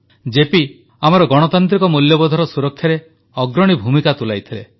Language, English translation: Odia, JP played a pioneering role in safeguarding our Democratic values